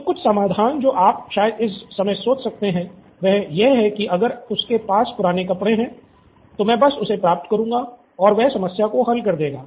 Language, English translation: Hindi, So, some of the solutions that you can probably think of at this moment is that well if he has old clothes, I would just get that and give it to him and that will probably solve the problem